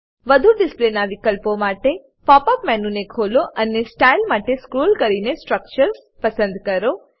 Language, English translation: Gujarati, For more display options, Open the pop up menu and scroll down to Style, then to Structures